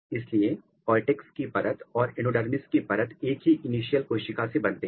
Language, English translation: Hindi, So, the layer of cortex and layer of endodermis they are originated from a single initial